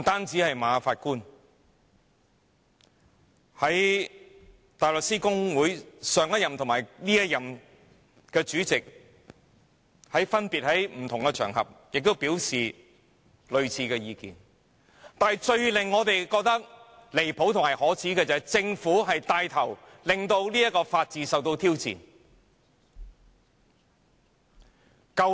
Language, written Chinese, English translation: Cantonese, 除馬法官外，香港大律師公會前任及現任主席亦分別於不同場合表達類似意見，但最令我們感到離譜和可耻的是政府牽頭令法治受到挑戰。, Apart from Justice MA the former and incumbent Chairmen of the Hong Kong Bar Association has also expressed similar opinions on various occasions . Yet it is most ridiculous and shameless that the Government is taking the lead to subject the rule of law to challenge